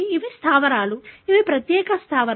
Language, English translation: Telugu, These are bases, which are specialized bases